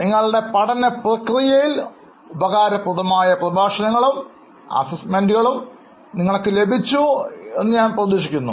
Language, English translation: Malayalam, I am hoping that you would have found the lectures as well as the assignments very much useful for your learning process